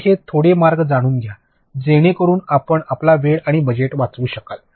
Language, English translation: Marathi, So, have these little you know mid ways in that you can save on your time and your budget